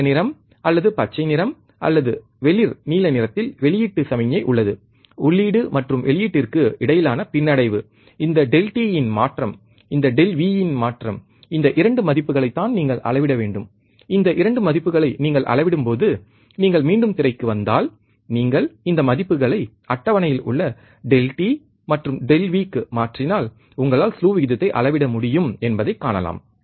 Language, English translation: Tamil, Which is yellow, you can see blue colour or greenish colour or light blue that is your output signal is a lag between input and output, this change in delta t, and change in delta V is your 2 values that you have to measure, when you measure these 2 values, if you come back to the screen, and you will see that if you put this value substitute this value onto the table delta V and delta t you are able to measure the slew rate